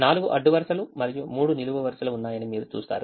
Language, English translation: Telugu, you see, there are four rows and three columns